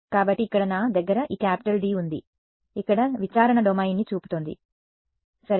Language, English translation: Telugu, So, here I have this capital D over here is showing domain of investigation ok